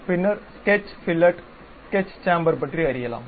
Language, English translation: Tamil, Then we can learn about Sketch Fillet, Sketch Chamfer